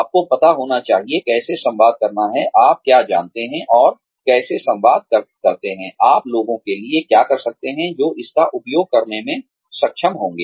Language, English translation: Hindi, You should know, how to communicate, what you know and how to communicate, what you can do to people, who will be able to make use of it